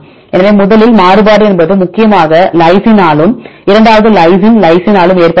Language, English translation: Tamil, So, whether what is the variability first one this mainly by lysine and the second lysine by lysine